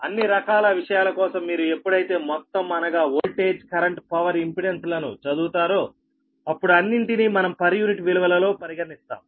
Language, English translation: Telugu, whenever you study everything that voltage, current power, impedance, we consider, everything is in per unit values